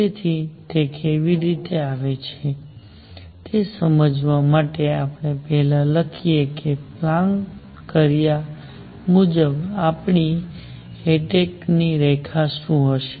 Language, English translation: Gujarati, So, to understand how it comes about let us first write what is going to be our line of attack as planted